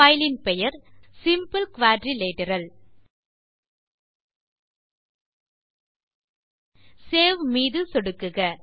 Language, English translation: Tamil, I will type the filename as quadrilateral click on Save